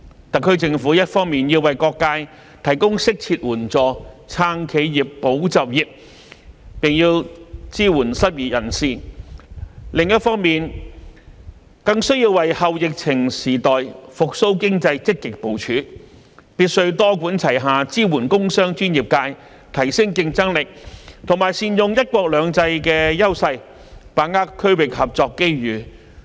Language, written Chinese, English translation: Cantonese, 特區政府一方面要為各界提供適切援助，"撐企業，保就業"，並支援失業人士；另一方面，更需要為"後疫情時代"復蘇經濟積極部署，必須多管齊下支援工商專業界，提升競爭力及善用"一國兩制"的優勢，把握區域合作機遇。, The SAR Government should on the one hand provide all sectors with appropriate assistance to support enterprises safeguard jobs and help the unemployed and on the other hand actively make plans for economic recovery in the post - epidemic era . It should adopt a multi - pronged approach to support the business and professional sectors enhance competitiveness capitalize on the advantages of one country two systems and seize the opportunities of regional cooperation